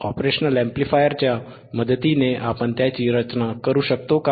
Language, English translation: Marathi, And can we design it with it with the help of operational amplifier,